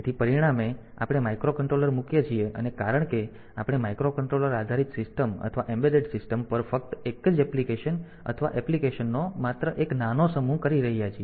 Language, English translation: Gujarati, So, as a result we are doing some we are putting a microcontrollers and since we are doing only a single application or a only a small set of applications on a on a microcontroller based system or an embedded system